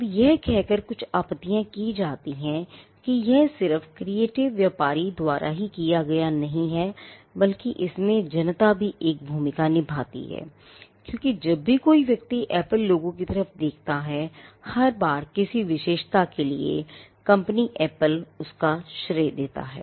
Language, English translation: Hindi, Now, there are some objections to this by saying that, it is just not the creative association done by the trader, but the public also plays a part because, every time a person looks at the Apple logo, there is something that the person perceives to be attributed to the company Apple